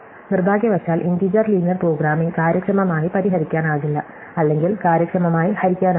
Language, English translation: Malayalam, And integer linear programming unfortunately is not solvable efficiently or it is not known solvable efficiently